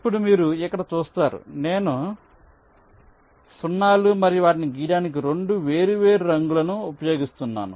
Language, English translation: Telugu, you see, here we are using two different colors to draw zeros and ones